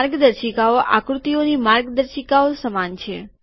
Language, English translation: Gujarati, The guidelines are similar to figures